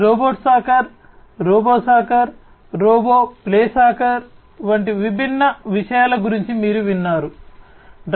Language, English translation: Telugu, You must have heard about different things like a robot playing soccer, robo soccer, robot playing soccer